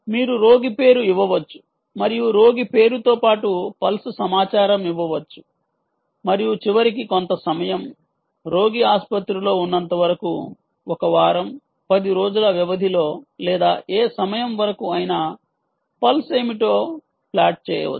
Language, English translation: Telugu, you can give a patient name and along with the patient name, the pulse information can be fed and at the end of, let us say, a certain amount of time, you can actually plot what was the pulse over the, lets say, period of one week, ten days or whatever time or which the patient is in the hospital